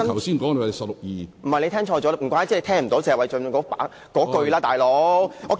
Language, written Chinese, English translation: Cantonese, 主席，你聽錯了，難怪你聽不到謝偉俊議員的說話。, President you got it wrong . No wonder you did not hear the remarks made by Mr Paul TSE